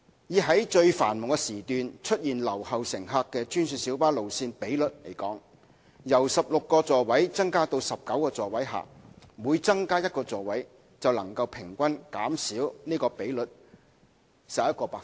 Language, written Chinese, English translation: Cantonese, 以在最繁忙時段出現留後乘客的專線小巴路線比率而言，在把座位數目由16個增加至19個的情況下，每增加一個座位能平均減少該比率11個百分點。, In terms of the ratio of GMB routes with left - behind passengers during the peakiest one hour with each seat increased from 16 to 19 seats the ratio can be reduced by an average of 11 percentage points